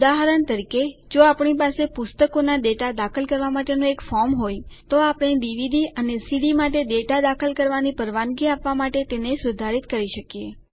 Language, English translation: Gujarati, For example, if we had a form to enter books data, we can modify it to allow data entry for DVDs and CDs also